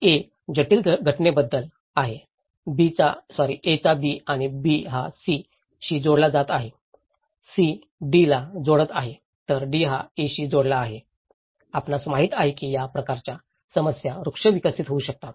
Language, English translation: Marathi, So, it’s all about a very complex phenomenon of A is linking to B and B is linking to C, C is linking to D but D is again linking to A, you know this kind of problem tree could be developed